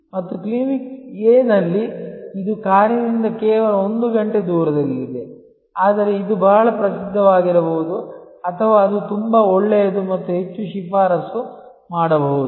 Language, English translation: Kannada, And in Clinic A, which is just located 1 hour away by car, but it may be very famous or it may be very good and highly recommended